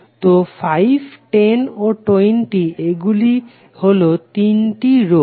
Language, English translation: Bengali, So 5, 10 and 20, so these are the 3 resistances